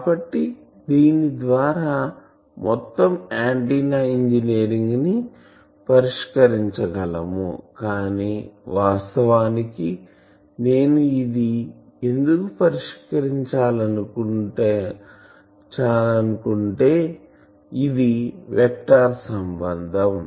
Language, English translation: Telugu, So, that would have made the whole antenna engineering is can be solved by this, but actually if I want to go and solve me because this is a vector relation